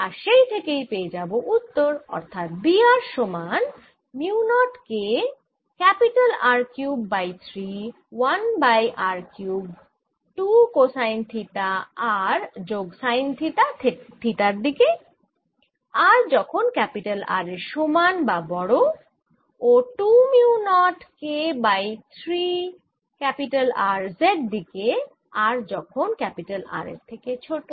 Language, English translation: Bengali, b of r is equal to mu naught k r cubed over three, one over r cubed two cosine theta r plus sine theta in theta direction for r greater than or equal to r, and this is equal to two mu naught k over three r in the z direction for r less than or equal to r